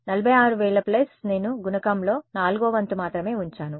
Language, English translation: Telugu, From 46000 plus I have kept only one fourth of the coefficient